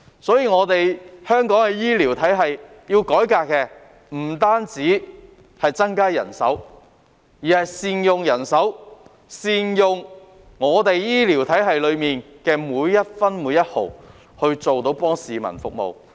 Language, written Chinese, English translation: Cantonese, 所以，要改革香港的醫療體系，不單要增加人手，亦要善用人手，善用醫療體系的每一分每一毫來服務市民。, Therefore in order to reform the healthcare system in Hong Kong we should not only increase manpower but also make good use of manpower . Every bit of resources in the healthcare system has to be properly used to serve members of the public